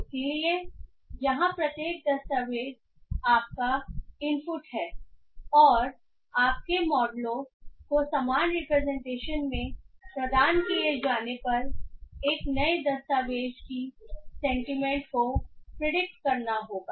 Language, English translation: Hindi, So here each document is your input and your model have to predict the sentiment of a new document when provided in the similar representation